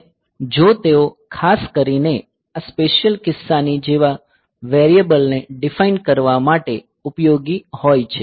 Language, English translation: Gujarati, And if they are useful for defining particularly the variables like say this particular case